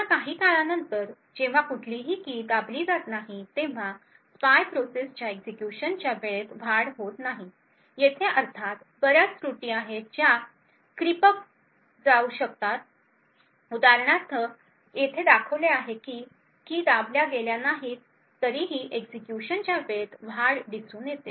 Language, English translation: Marathi, Again after some time when there is no key pressed the spy does not see an increase in the execution time, there are of course a lot of errors which may also creep up like for example this over here which shows an increase in execution time even though no keys have been pressed